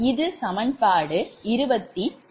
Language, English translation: Tamil, this is equation twenty six